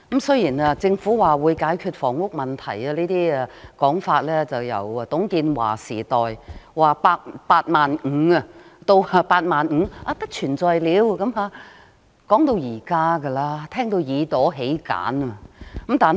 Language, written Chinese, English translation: Cantonese, 雖然政府表示會解決房屋問題，但這種說法由董建華時代——當年說的"八萬五"，到後來不存在了——一直說到現在，我們都聽得耳朵起繭。, The Government said that the housing problem would be solved but such remarks had been made since the TUNG Chee - hwa era―the 85 000 mentioned then until they no longer existed―it has been said up till the present moment so we all become indifferent on hearing it